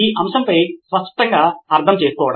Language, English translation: Telugu, Clearly understanding on the subject